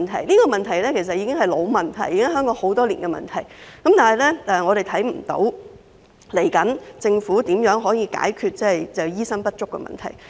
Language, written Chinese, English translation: Cantonese, 這些其實都是老問題，是香港多年來的問題，但我們仍未看到政府打算如何解決醫生不足的問題。, All these are indeed deep - seated problems plaguing Hong Kong for many years . Yet the Government has still failed to come up with any solutions to address doctor shortage